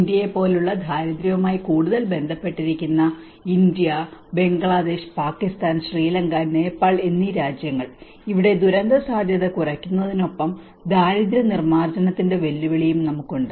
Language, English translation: Malayalam, Countries like India which are more to do with the poverty because India, Bangladesh, Pakistan, Sri Lanka, Nepal so we have along with the disaster risk reduction we also have a challenge of the poverty reduction